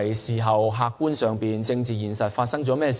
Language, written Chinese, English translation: Cantonese, 在客觀上，她上任後發生了甚麼事情呢？, Objectively speaking what happened after she has assumed office?